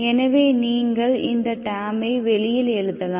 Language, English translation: Tamil, So those terms you can write outside, right